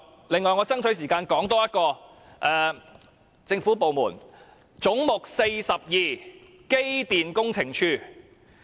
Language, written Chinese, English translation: Cantonese, 另外，我要爭取時間多說一個政府部門，即"總目 42― 機電工程署"。, On the other hand I have to be quick in order to talk about one more government department that is Head 42―Electrical and Mechanical Services Department